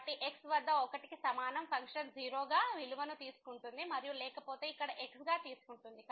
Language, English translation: Telugu, So, at is equal to 1 the function is taking value as 0 and otherwise its taking here as